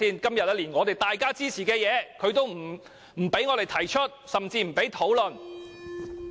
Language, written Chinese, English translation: Cantonese, 今天大家都一致支持的修正案，它也不容許我們提出甚至討論。, Today Members have unanimously supported the CSA but the Government does not even allow us to propose it for discussion